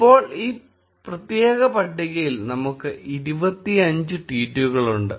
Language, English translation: Malayalam, Now, we have 25 tweets in this particular table